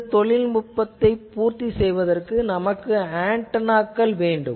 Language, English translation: Tamil, So, question is that to have this cater to this technology we need antennas